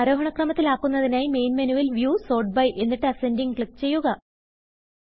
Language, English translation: Malayalam, To sort it in the ascending order, from the Main Menu, click on View, Sort by and Ascending